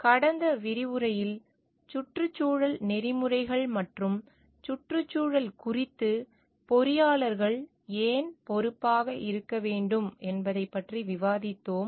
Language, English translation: Tamil, In the last discussions we have discussed about environmental ethics and why like the engineers should be responsible about the environment